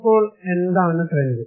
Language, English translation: Malayalam, So, what is the trend now